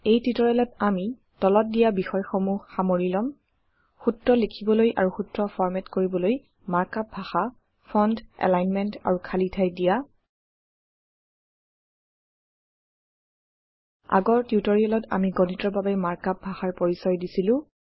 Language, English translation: Assamese, In this tutorial, we will cover the following topics: Mark up language for writing formula and Formula formatting: Fonts, Alignment, and Spacing In the last tutorial, we introduced the mark up language for Math